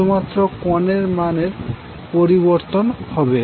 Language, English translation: Bengali, The only change will be the angle value